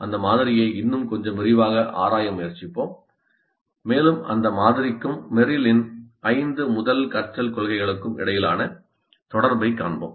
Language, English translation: Tamil, We will try to explore that model in a little bit more detail and see the correspondence between that model and Merrill's five first principles of learning